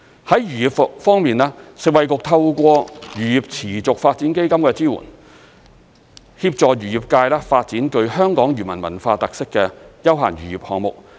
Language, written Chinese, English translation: Cantonese, 在漁業方面，食衞局透過漁業持續發展基金的支援，協助漁業界發展具香港漁民文化特色的休閒漁業項目。, On fisheries the Food and Health Bureau has been assisting fisheries through the Sustainable Fisheries Development Fund to develop recreational fisheries with cultural characteristics of the local fishermen